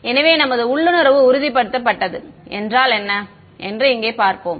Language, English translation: Tamil, So let us see what if our intuition is confirmed over here